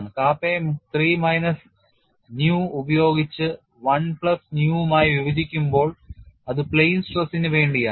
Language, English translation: Malayalam, When kappa is replace by 3 minus nu divided by 1 plus nu it is for plane stress